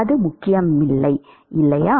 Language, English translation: Tamil, Does not matter